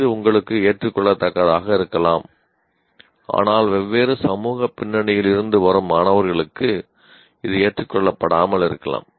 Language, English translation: Tamil, It may be acceptable to you but it may not be acceptable to students coming from a different social background